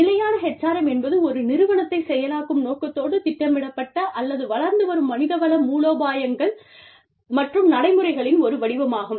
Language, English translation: Tamil, Sustainable HRM is the pattern of planned or, emerging human resource strategies and practices, intended to enable an organization